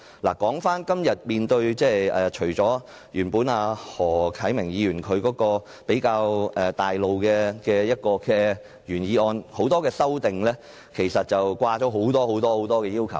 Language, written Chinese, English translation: Cantonese, 說回今天的議題，除了何啟明議員比較概括的原議案外，很多修正案均加入了很多要求。, Back to todays topic . Apart from Mr HO Kai - mings original motion which is more general many amendments have put in a number of requests